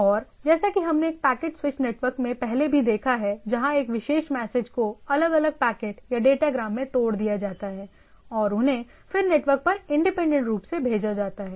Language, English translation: Hindi, So that and as we have seen in a packet switched network where a particular message is broken down into a different packets or datagrams and they are sent independently over the network